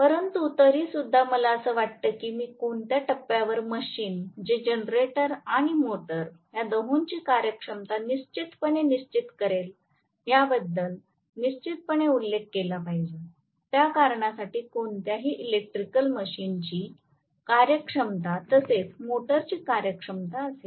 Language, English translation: Marathi, But nevertheless at least I thought I should make a passing mention at what point a machine, which is definitely it is going to have functionality of both generator and motor, definitely any electrical machine for that matter will have the functionality of a motor as well as generator